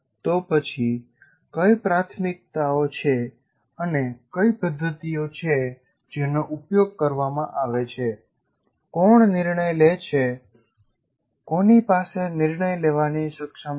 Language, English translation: Gujarati, Then what are my priorities and what are the methods that I am using and who has the power